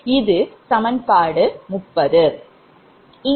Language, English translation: Tamil, that is equation thirty